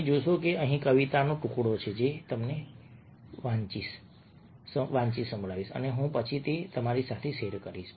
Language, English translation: Gujarati, here is the fragment of the poem which i will read out to you and then i will share it with you